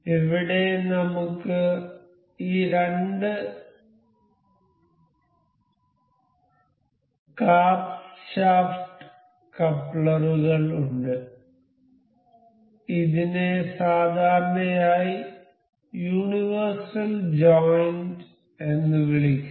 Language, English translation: Malayalam, So, here we have these two carbs shaft couplers this is generally called universal joint